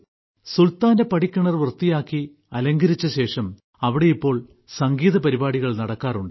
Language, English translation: Malayalam, After cleaning the Sultan's stepwell, after decorating it, takes place a program of harmony and music